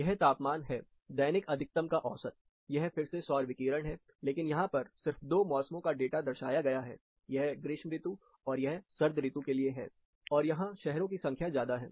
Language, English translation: Hindi, (Refer Slide Time: 14:04) It is the temperature, the daily temperature mean maxima, this is a solar radiation again, but what we find here is, only two typical seasons data has been presented, this is for summer and this is for winter, there are more number of cities here